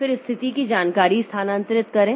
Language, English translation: Hindi, Then transfer status information